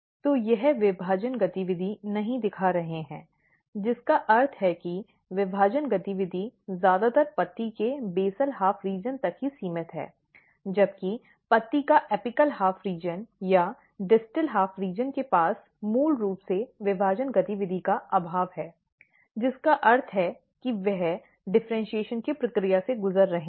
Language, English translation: Hindi, So, they are not; they are not showing the division activity, so which means that the division activity is mostly restricted to the basal half region of the leaf whereas, the apical half region or the distal half region of the leaf basically they lack the division activity, which means that they are; they are; they are undergoing the process of differentiation